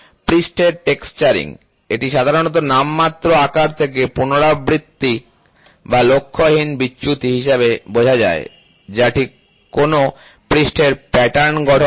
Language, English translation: Bengali, Surface texturing, it is generally understood as a repetitive or random deviations from the nominal size that forms the pattern on a surface, ok